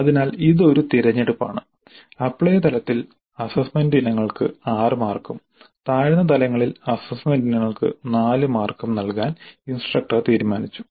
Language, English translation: Malayalam, So this is one choice where the instructor has decided to have six marks for assessment items at apply level and four marks for assessment items at lower levels